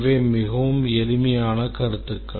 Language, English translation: Tamil, These are very simple concepts